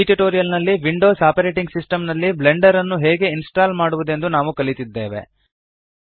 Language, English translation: Kannada, So in this tutorial, we have learnt how to install Blender on a Windows operating system